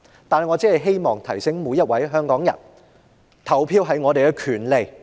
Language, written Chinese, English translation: Cantonese, 不過，我希望提醒每一位香港人，投票是我們的權利。, However I would like to remind each and every Hongkonger that voting is our right